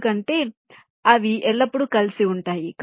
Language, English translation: Telugu, because they will always remain together